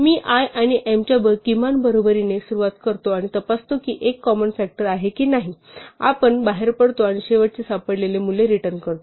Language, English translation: Marathi, So we start with i equal to the minimum of m and n and we check whether i is a common factor if it is so we exit and return the value of i that we last found